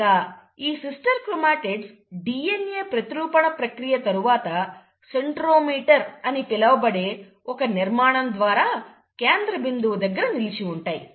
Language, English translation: Telugu, And, these sister chromatids, right after DNA replication will be held together at a central point by a structure called as ‘centromere’